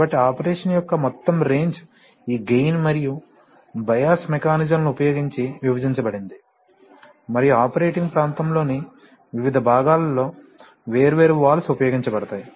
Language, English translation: Telugu, So the overall range of operation is split using this gain and bias mechanisms and in different parts of the operating region different valves are employed